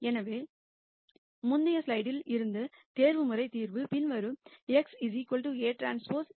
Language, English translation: Tamil, So, the optimization solution from the previous slide is the following x equal to a transpose A A transpose inverse b